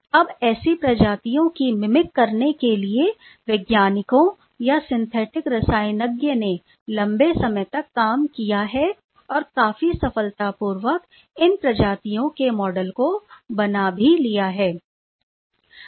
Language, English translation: Hindi, Now to mimic such species, scientists or the synthetic chemist has worked long and quite successfully now the model of these species has been reported